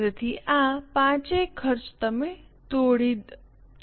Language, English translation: Gujarati, So, all these five costs you will break down